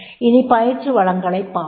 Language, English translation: Tamil, Then we will talk about the training resources